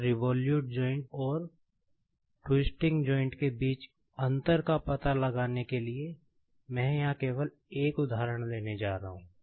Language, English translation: Hindi, Now, to find out the difference between the revolute joint, and twisting joint; I am just going to take one example here